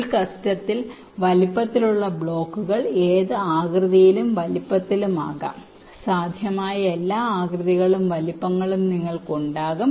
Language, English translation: Malayalam, well, in the full custom size, the blocks can be of any shapes and sizes, all possible shapes and sizes you can have, so you can have something like this also